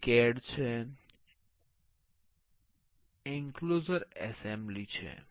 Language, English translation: Gujarati, It is CAD, enclo enclosure assembly